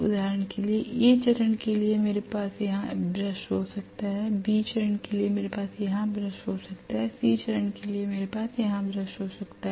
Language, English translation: Hindi, For example, for A phase I may have the brush here, for B phase I may have the brush here and for C phase I may have one more brush here